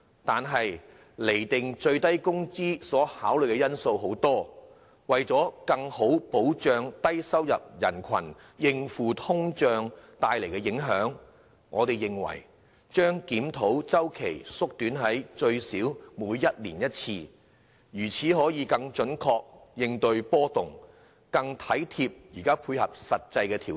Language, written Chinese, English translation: Cantonese, 但釐定最低工資水平所考慮的因素有很多，為了更好保障低收入人士應付通脹帶來的影響，我們認為檢討周期應縮短至最少每年一次，以更準確應對經濟波動，作出更貼近現況的實際調整。, However there are many factors to consider when determining the SMW rate . To better protect low - income persons against the impact of inflation we believe the review cycle should be shortened to at least once every year so as to tackle economic fluctuations more accurately and make more realistic adjustments pertinent to the latest circumstances